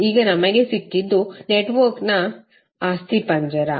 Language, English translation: Kannada, Now what we got is the skeleton of the network